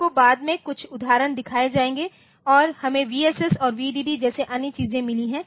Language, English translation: Hindi, So, you will see some examples later and we have got other things like a V S S and V D D